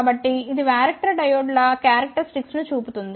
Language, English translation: Telugu, So, this shows the characteristics of the varactor diodes